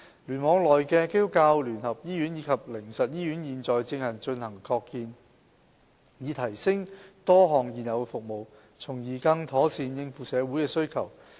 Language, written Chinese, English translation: Cantonese, 聯網內的基督教聯合醫院及靈實醫院現正進行擴建，以提升多項現有的服務，從而更妥善應付社會需求。, The United Christian Hospital and the Haven of Hope Hospital which belong to KEC are now undergoing expansion to upgrade a number of existing services with a view to meeting social needs more properly